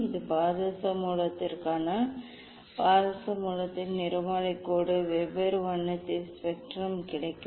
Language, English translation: Tamil, this for mercury source, spectral line of mercury source we will get spectrum of different colour